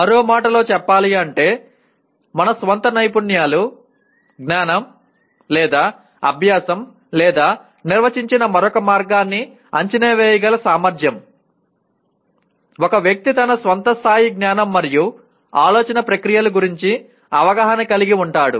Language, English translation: Telugu, In other words, the ability to assess our own skills, knowledge, or learning or another way defined, a person’s awareness of his or her own level of knowledge and thought processes